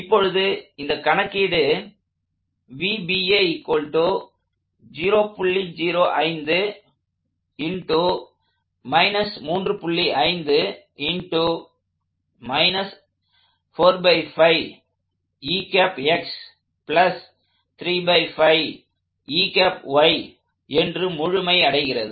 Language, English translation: Tamil, So, let us complete this calculation